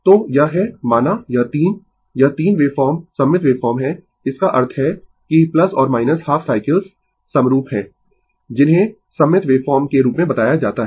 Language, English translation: Hindi, So, this is say this 3, this 3 wave form are symmetrical wave form; that means, that plus and minus half cycles are identical are referred to as the symmetrical wave form right